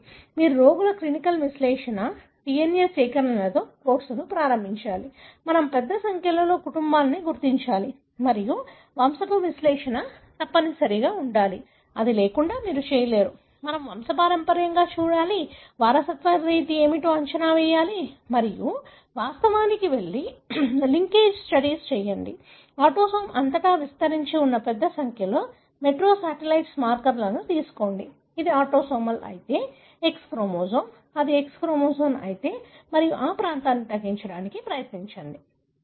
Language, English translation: Telugu, So, you have to of course start with patients clinical analysis, DNA collections, we have to identify a large number of families and of course pedigree analysis is must; without that you cannot do, we have to look into the pedigree, predict what is the mode of inheritance and of course go and do the linkage studies; take large number of micro satellite markers spanning all over the autosome, if it is autosomal, X chromosome if it is X chromosomal and try to narrow down the region, right